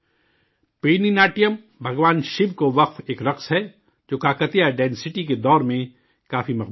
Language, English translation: Urdu, Perini Natyam, a dance dedicated to Lord Shiva, was quite popular during the Kakatiya Dynasty